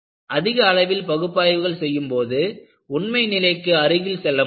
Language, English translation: Tamil, When you do more analysis, I should also go closer to reality